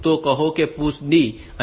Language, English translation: Gujarati, So, these push say D